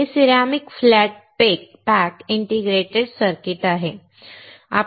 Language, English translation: Marathi, This is ceramic flat pack integrated circuit